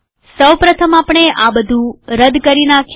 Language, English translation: Gujarati, First we will remove all this